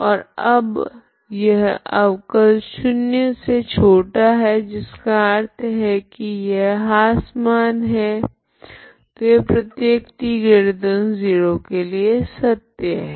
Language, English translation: Hindi, And now from this derivative is less than 0 implies it is always decreasing so this is what is true for every t positive, okay